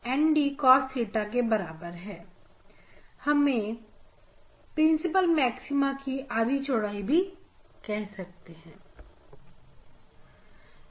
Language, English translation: Hindi, half width of the principal maxima is this